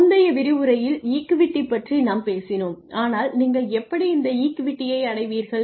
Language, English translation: Tamil, You conduct the, we talked about equity in a previous lecture, but how do you achieve this equity